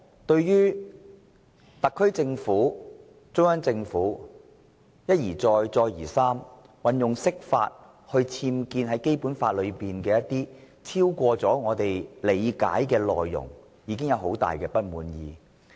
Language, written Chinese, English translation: Cantonese, 對於中央政府一再運用釋法權力，在《基本法》中僭建超過我們所理解的內容，民主派已經十分不滿。, The pro - democracy camp is already very discontented to see that the Central Government has time and again resorted to its power to interpret the Basic Law and impose new contents on it that go beyond our understanding